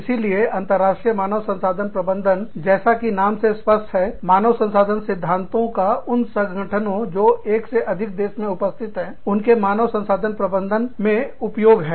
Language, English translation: Hindi, So, international human resource management, as the name indicates, is the application of human resource principles, to the management of human resources, in organizations, that are in, more than one country